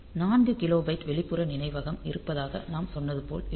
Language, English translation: Tamil, So, whether as we said that there is 4 kilobyte of external memory